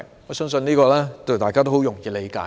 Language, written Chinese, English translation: Cantonese, 我相信這是很容易理解的。, I believe this is easily understandable